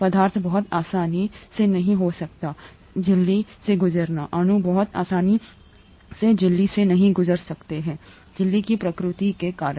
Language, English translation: Hindi, Substances cannot very easily pass through the membrane; molecules cannot very easily pass through the membrane because of the nature of the membrane